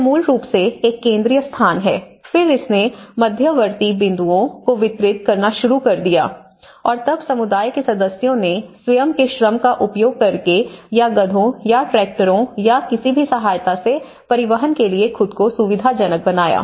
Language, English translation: Hindi, So, it is basically from one central space, then it started distributing to the intermediate points and then the community members facilitated themselves to transport to that whether by using their own labour or hiring the assistance of donkeys or tractors or any pickups